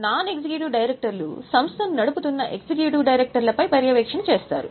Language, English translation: Telugu, Non executive directors are meant to do monitoring function on the executive directors who are running the company